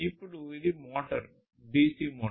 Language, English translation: Telugu, Then this is a motor a dc motor